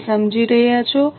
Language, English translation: Gujarati, Are you getting me